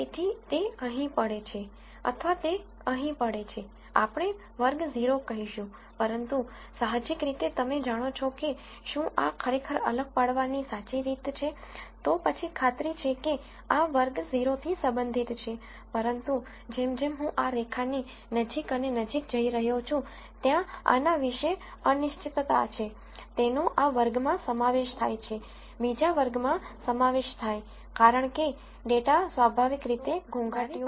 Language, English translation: Gujarati, So, whether it falls here, or it falls here we are going to say class 0, but intuitively you know that if this is really a true separation of these classes, then this is for sure going to belong to class 0, but as I go closer and closer to this line there is this uncertainty about, whether it belongs to this class, or this class because data is inherently noisy